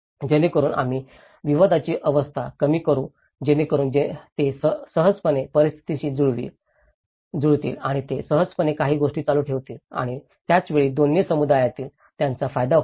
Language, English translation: Marathi, So that we can reduce the conflict stage so that they can easily adapt and they can easily continue certain things and at the same time it is a benefit for both the communities